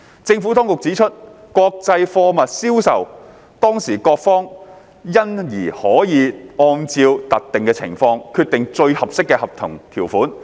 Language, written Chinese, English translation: Cantonese, 政府當局指出，國際貨物銷售當事各方因而可按照特定情況，決定最適合的合同條款。, The Administration pointed out that the parties involved in the international sale of goods could therefore decide on the most appropriate contractual terms according to the particular circumstances